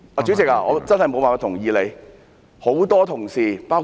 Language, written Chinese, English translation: Cantonese, 主席，我真的無法同意你的說法。, Chairman I honestly cannot agree with you